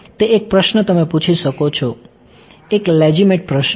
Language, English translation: Gujarati, That one question you can ask, a legitimate question